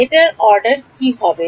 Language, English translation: Bengali, What order will it be